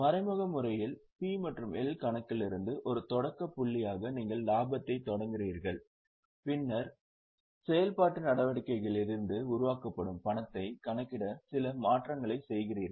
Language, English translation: Tamil, In indirect method what happens is you start with profit as a starting point from P&L account and then you make certain adjustments to calculate the cash which is generated from operating activities